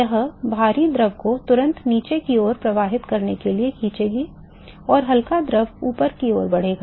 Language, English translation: Hindi, It will immediately pull the heavy fluid to the, to flow below and light fluid will move up